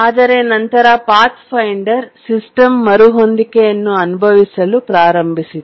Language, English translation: Kannada, But then the Pathfinder began experiencing system resets